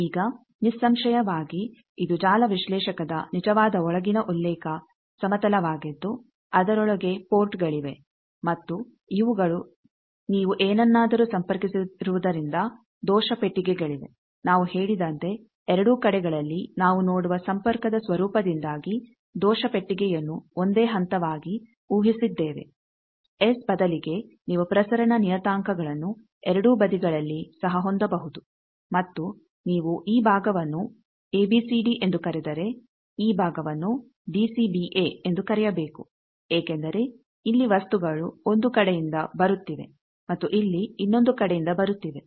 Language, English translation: Kannada, Now obviously, this is your actual inside reference plane of the network analyser which is its ports inside and these are since you have connected something, so there is an error box is as we said that in both side we have assumed error box same phase also due to the nature of connection you see, instead of S you can also have transmission parameters both sides and you see that if you call this side A B C D this side you should call D B C A because the things are here coming from one side here from another side